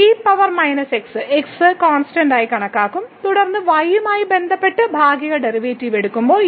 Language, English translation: Malayalam, So, power minus will be treated as constant and then, when we take the partial derivative with respect to